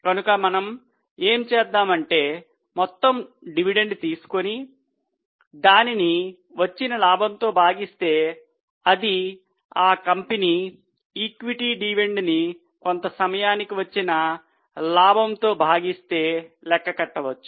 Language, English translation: Telugu, So, what we can do is take the total dividend and divide it by the available profits, which is equity dividend of the company divided by the profit for the period